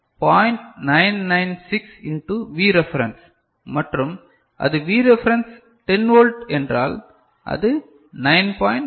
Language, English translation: Tamil, 996 in to V reference and if it is V reference is 10 volt, it will be 9